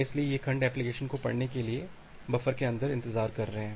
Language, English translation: Hindi, So, these segments are waiting inside the buffer for the application to read them